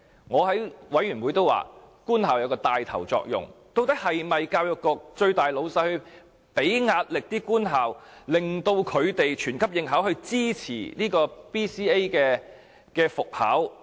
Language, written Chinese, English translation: Cantonese, 我在事務委員會也曾指出，究竟是否教育局高層向官校施加壓力，令到官校牽頭以全級應考來支持 BCA 復考？, I raised this issue in a panel meeting asking whether senior officials in the Education Bureau had put pressure on government schools forcing these schools to support the resumption of BCA by choosing compulsory BCA assessment